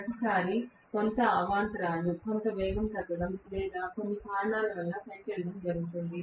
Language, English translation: Telugu, Every time there is going to be some disturbance, some speed coming down or going up due to some reason